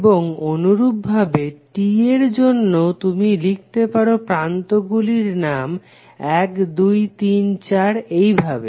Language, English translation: Bengali, And similarly for T also, you can write the names of the terminals like 1, 2, 3, 4